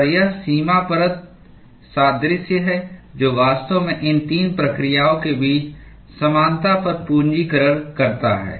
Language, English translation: Hindi, And it is the boundary layer analogy which actually capitalizes on the similarity between these 3 processes